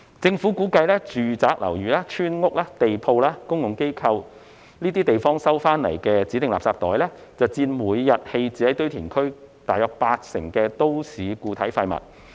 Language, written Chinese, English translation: Cantonese, 政府估計住宅樓宇、村屋、地鋪和公共機構收集到的指定垃圾袋，會佔每日棄置於堆填區的都市固體廢物大約八成。, The Government estimates that designated garbage bags collected from residential buildings village houses street - level shops and institutional premises will account for about 80 % of the daily MSW disposed of at landfills